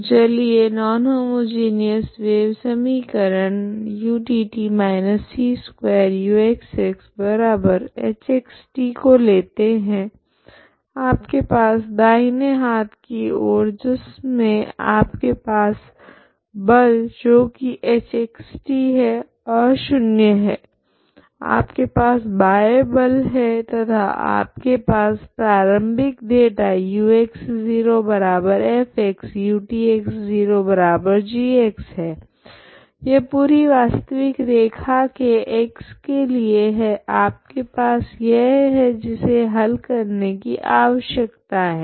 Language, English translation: Hindi, So let us take this non homogeneous equation wave equation utt−c2uxx=h( x ,t ) on the right hand side you have a forcing which is nonzero h( x ,t ) is nonzero you have a external force and you have this initial data, u( x ,0)=f , ut( x , 0)=g this is for every real line on the full real line (x ∈ R), you have this one needs to find the solution